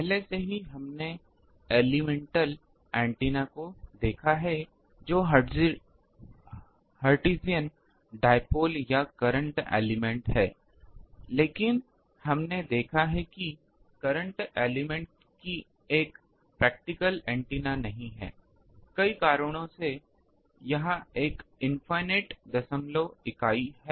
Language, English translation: Hindi, Already, we have seen the elemental antenna that is hertzian dipole or current element, but we have seen the time that current element is not a practical antenna; because of several reasons, one was that it is length is infinite decimal